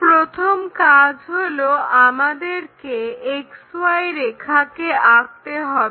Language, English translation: Bengali, The first step what we have to follow is draw an XY line